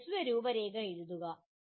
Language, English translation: Malayalam, Write a brief outline …